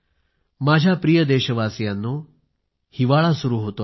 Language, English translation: Marathi, My dear countrymen, winter is knocking on the door